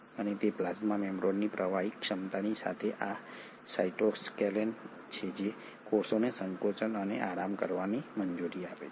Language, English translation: Gujarati, And it is this cytoskeleton along with the fluidic ability of the plasma membrane which allows the cell to contract and relax